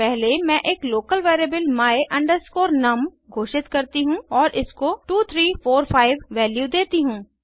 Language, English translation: Hindi, First, I declare a local variable my num and assign the value 2345 to it